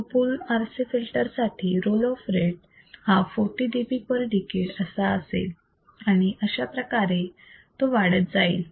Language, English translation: Marathi, For two pole RC filter my role of rate will be minus 40 dB per decade and so on all right